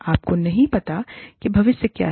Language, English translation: Hindi, You do not know, what the future holds